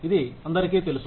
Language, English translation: Telugu, Everybody knows this